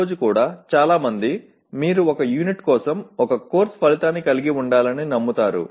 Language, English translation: Telugu, Many people even today believe that you have to have one course outcome for one unit